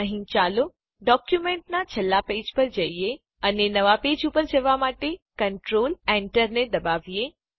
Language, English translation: Gujarati, Here let us go to the end of the document and press Control Enter to go to a new page